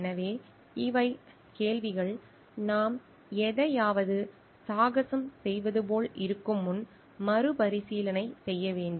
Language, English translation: Tamil, So, these are questions, which needs to be revisited before we are like adventuring for something